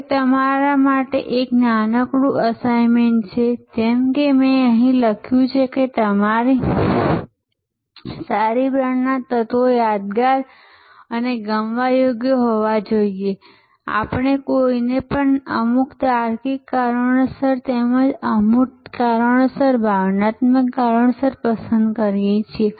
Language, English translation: Gujarati, I have now, given a small assignment for you in front of you like I have written here the elements of a good brand should be memorable and likeable just as we like somebody for some logical reasons as well as for emotional reasons for intangible reasons